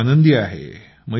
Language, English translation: Marathi, I am very happy